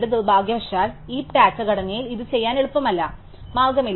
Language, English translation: Malayalam, Now, unfortunately in the heap data structure there is no easy way to do this